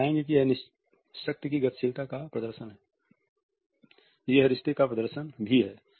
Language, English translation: Hindi, So, you would find that it is a display of the power dynamics, it is also a display of the relationship